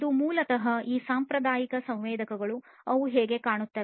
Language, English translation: Kannada, This is basically these traditional sensors, how they look like